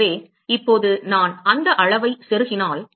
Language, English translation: Tamil, So, now if I plug in that quantity